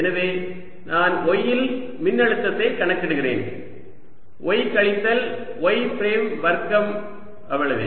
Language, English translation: Tamil, so i am calculating field ah, the potential at y, y minus y prime square